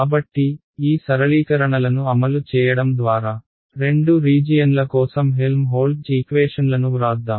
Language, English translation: Telugu, So, with these simplifications made in place let us write down the Helmholtz equations for both the regions ok